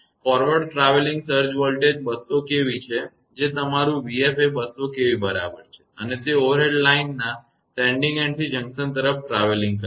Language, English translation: Gujarati, The forward travelling surge voltage is 200 kV that is your v f is equal to 200 kV and is travelling toward the junction from the sending end of the overhead line